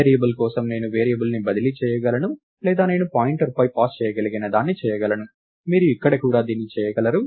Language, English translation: Telugu, For a variable, I could have transferred the variable or I could have received a I could have passed on a pointer, just like that you could do it here also